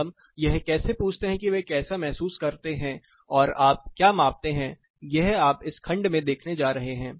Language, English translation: Hindi, So, how do we ask how do they feel and what do you measure this is what you are going to look at this section